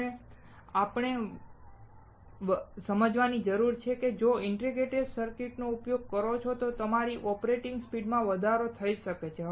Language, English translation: Gujarati, What we need to understand now is that, if you use integrated circuits then your operating speeds can be higher